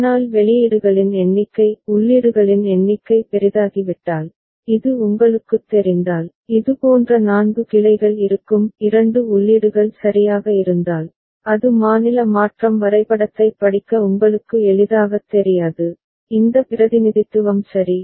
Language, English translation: Tamil, But as we said if the number of outputs number of inputs becomes large so, this becomes a bit you know, four such branches will be there if two inputs ok, then that is not you know easy to read for state transition diagram, this representation ok